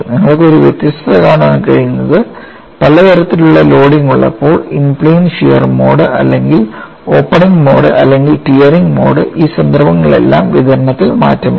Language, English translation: Malayalam, And something very unique see if you have a different types of loading with finally result in plane shear mode or opening mode or tearing mode in all these cases the distribution does not change